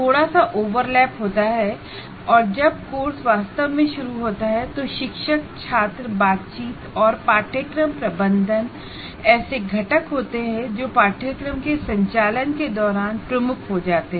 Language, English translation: Hindi, And then once the course actually is in operation, teacher student interaction and course management are the two components which become dominant during the conduct of the course